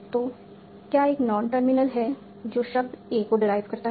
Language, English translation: Hindi, So, is there a non terminal that derives the word A